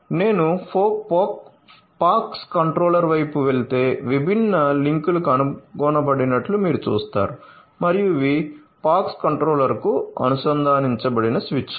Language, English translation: Telugu, If I go up at the pox controller side you will see that links different links are detected and these are the switches which are connected to the POX controller